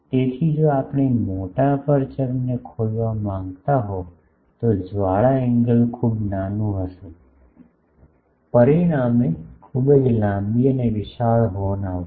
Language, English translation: Gujarati, So, if we want to have a large aperture opening the flare angle will be small resulting in a very long and bulky horn